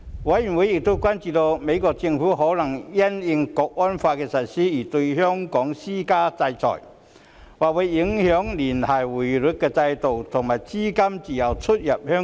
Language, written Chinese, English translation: Cantonese, 委員亦關注美國政府可能會因應《港區國安法》的實施而對香港施加制裁，或會影響聯繫匯率制度和資金自由進出香港。, Members also expressed concern on the possible sanctions the United States Government might impose on Hong Kong in light of the National Security Law which may affect the Linked Exchange Rate System and free flow of capital in and out of Hong Kong